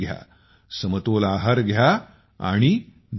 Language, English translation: Marathi, Have a balanced diet and stay healthy